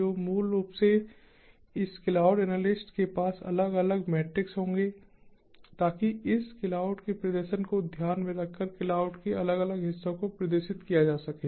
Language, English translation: Hindi, so, basically, this cloud analyst will have different metrics to trick, take care of the performance of this cloud, the different parts of the cloud and so on